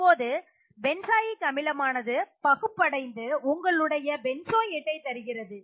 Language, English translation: Tamil, So benzoic acid will dissociate to give you your benzoate